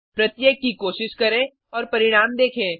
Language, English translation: Hindi, Let us try each one and see the results